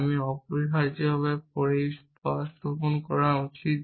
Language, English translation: Bengali, I should substitute essentially